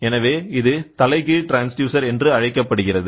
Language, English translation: Tamil, So, it is called as inverse transducer